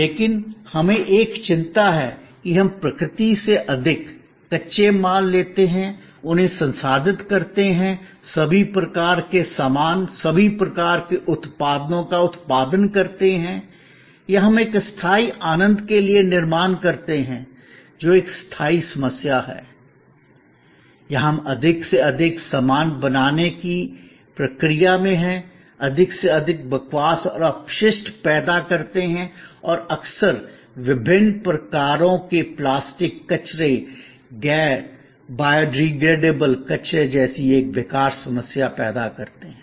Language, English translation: Hindi, But, we now have a concern that more we take from nature, raw materials, process them, produce all kinds of goods, all kinds of products or we creating for a temporary enjoyment, a permanent problem or we in the process of creating more and more goods, creating more and more rubbish and waste and often an unsolvable problem like various kinds of plastic waste, non biodegradable waste